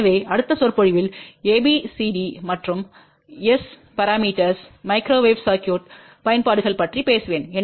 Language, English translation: Tamil, So, in the next lecture I will talk about a b c d and s parameters followed by various applications of microwave circuit